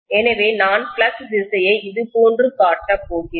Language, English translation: Tamil, So I am going to show the direction of the flux probably somewhat like this, okay